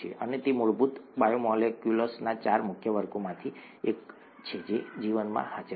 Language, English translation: Gujarati, And that is one of the four major classes of basic biomolecules that are present in life